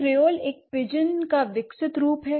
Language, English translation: Hindi, A creole is a developed form of a pigeon, right